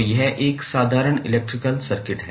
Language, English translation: Hindi, So, it is like a simple electrical circuit